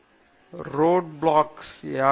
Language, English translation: Tamil, What are the key road blocks